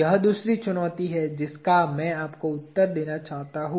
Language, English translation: Hindi, That is the second challenge that I want you to answer